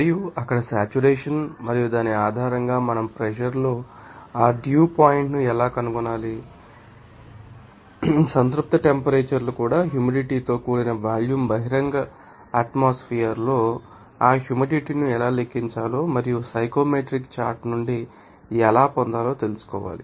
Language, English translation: Telugu, And saturation there and based on which we have you know obtain how to you know find out that dew point in pressure even saturation temperatures even humid volume how to calculate the you know that moisture content in the open atmosphere and also how from the psychometrics chart